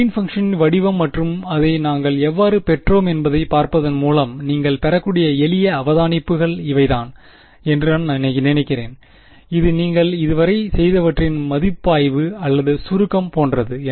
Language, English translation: Tamil, I mean these are just sort of simple observation you can get by looking at the form of the Green’s function that we got and how we derived it ok, it is more like a review or summary of what you’ve done so far ok